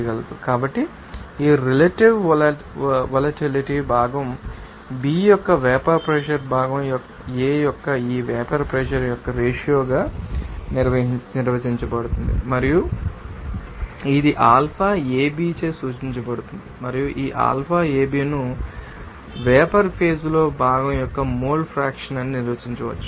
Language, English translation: Telugu, So, this relative volatility will be defined as this ratio of this you know vapour pressure of component A to the vapour pressure of component B and it is denoted by you know alpha AB and this alpha AB also her can be you know defined as these you know mole fraction of component in the vapour phase to it liquid phase for the component A